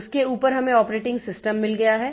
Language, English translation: Hindi, On top of that we have got the operating system